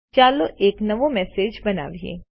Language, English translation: Gujarati, Lets compose a new message